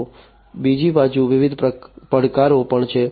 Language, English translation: Gujarati, So, on the other side, there are different challenges also